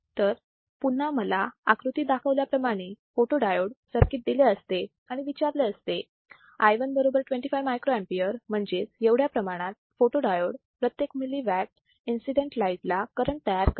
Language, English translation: Marathi, So, again if I am given a photodiode circuit as shown in figure, and if I am told that i1 equals to 25 microampere that is the amount of current that the photodiode generates per milliwatt of incident radiation